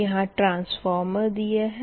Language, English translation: Hindi, this is transformer, right